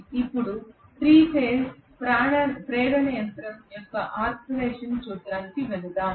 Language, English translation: Telugu, Let us now go over to the principle of operation of the 3 phase induction machine